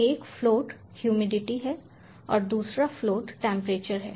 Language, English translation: Hindi, so one is float humidity and another is float temperature